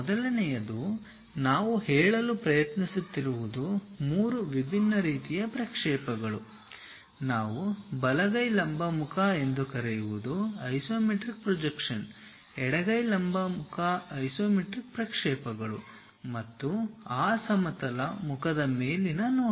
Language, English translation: Kannada, The first one what we are trying to say there are three different kind of projections possible one we call right hand vertical face is an isometric projection, left hand vertical face that is also an isometric projections and the top view of that horizontal face